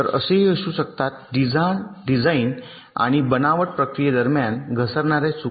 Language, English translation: Marathi, so there can be such errors that can creep in during the design and fabrication processes